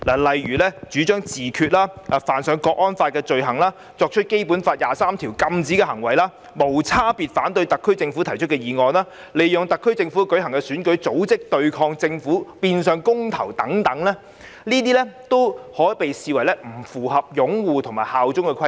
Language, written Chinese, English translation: Cantonese, 例如主張自決、犯上《香港國安法》的罪行、作出《基本法》第二十三條禁止的行為、無差別反對特區政府提出的議案、利用特區政府舉行的選舉及組織對抗政府的變相公投等，均視作不符合擁護《基本法》及效忠特區的規定。, For example the advocation of self - determination the commission of an offence under the National Security Law the commission of an act prohibited by Article 23 of the Basic Law the indiscriminate opposition to a motion proposed by the SAR Government and the use of an election held by the SAR Government to organize a de facto referendum against the Government will all be regarded as failing to fulfil the requirements of upholding the Basic Law and bearing allegiance to HKSAR